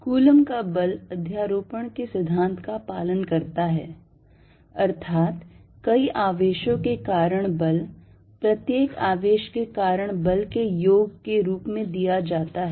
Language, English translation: Hindi, The Coulomb force follows the principle of superposition; that is the force due to several charges is given as the sum of force due to individual charge